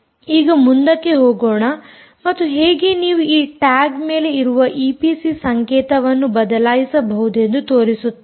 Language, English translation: Kannada, now let us go ahead and show you how you can change the e p c code which is sitting on this tag